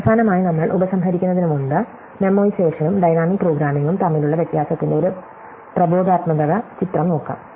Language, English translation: Malayalam, So, finally, before we conclude, let us just look at an instructive illustration of the difference between a memoization and dynamic programming